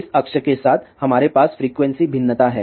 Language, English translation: Hindi, So, what we have here along this axis we have frequency variation